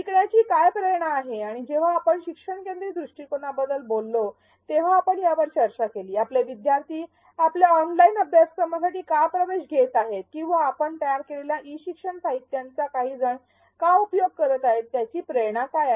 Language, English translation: Marathi, What is the motivation to learn and this is something we have discussed when we talked about the need for a learner centric approach, why are your learners enroll for your online course or why is some learner going through the e learning materials that you developed, what is their motivation